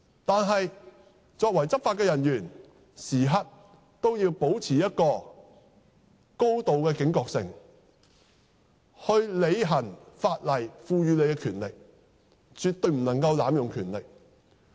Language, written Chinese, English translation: Cantonese, 但是，作為執法人員，時刻也要保持高度警覺性，行使法例賦予的權力，絕對不能濫用權力。, Having said that the Police being law enforcement officers must be highly alert at all times to ensure that they exercise powers conferred on them by the law and absolutely must not abuse them